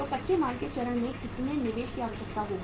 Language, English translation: Hindi, So how much investment will be required in the raw material stage